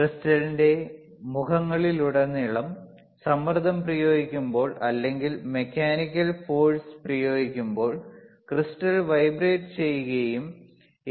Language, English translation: Malayalam, Applying pressure wear across the faces of the crystal or, on application of mechanical force, to methe crystal vibrates and an the A